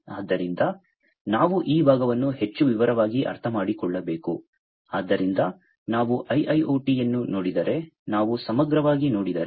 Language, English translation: Kannada, So, we need to understand this part in more detail so, if we look at the, you know, IIoT right, so, IIoT if we look at holistically